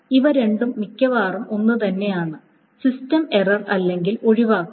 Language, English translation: Malayalam, So these two are mostly the same, system error or exception